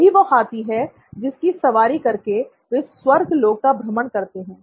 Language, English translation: Hindi, This is the elephant that he rides all across the heavens